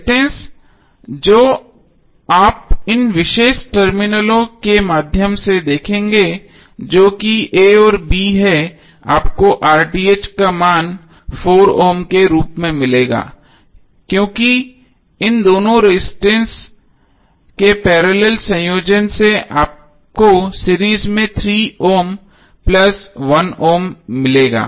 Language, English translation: Hindi, The resistance which you will see through these particular terminals that is a and b you will get the value of RTh as 4 ohm because the parallel combination of these two resistances would give you three ohm plus one ohm in series